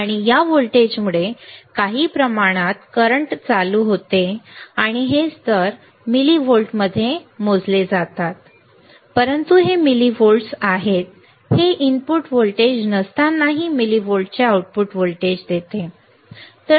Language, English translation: Marathi, And this voltage causes some amount of current some amount of current and this levels are measured in millivolts right, but this millivolts are there this is output voltage of millivolts is there even when there is no input voltage